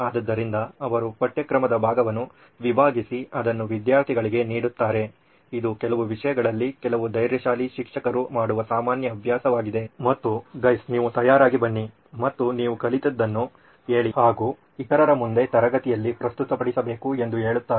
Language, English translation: Kannada, So she cuts up the portion of the syllabus and gives it to the students this is a common practice in some subjects some brave teachers do this and says you guys prepare and tell me what you have learnt and you will have to present and teach the other people in the class